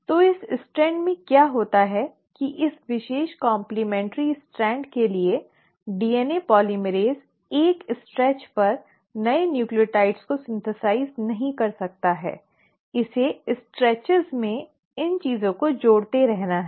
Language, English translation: Hindi, So in this strand what has happened is for this particular complementary strand the DNA polymerase cannot, at a stretch, synthesize the new nucleotides; it has to keep on adding these things in stretches